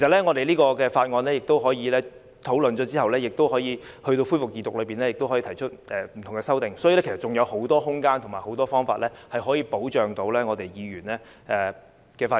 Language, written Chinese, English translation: Cantonese, 我們可以在事務委員會討論《條例草案》時提出意見，在恢復二讀時也可以提出不同的修正案，所以還有很多空間及方法，可以保障議員的發言權。, We can voice our views on the Bill when the Panel on Manpower scrutinizes it; and we can also propose different amendments when the Bill resumes its Second Reading debate . So there is still a lot of room and means to protect Members right to speak